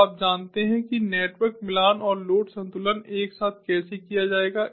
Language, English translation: Hindi, so you know how the, the network matching and load balancing will be done together